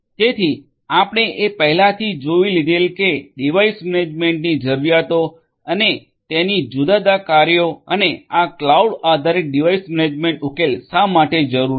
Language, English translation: Gujarati, So, these are the needs for device management we have already seen and their different functionalities and why it is required to have this cloud based device management solution